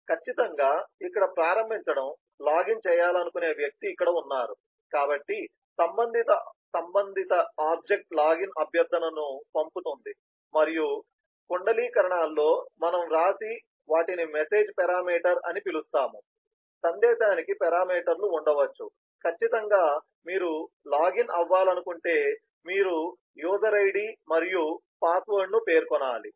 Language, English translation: Telugu, certainly, here is the initiating, here is the person who is initiating who wants to do the login, so the corresponding object sends a login request and within parenthesis what we write are known as message parameters, message could have parameters that it carry, certainly if you have to login, you need to specify the user id and the password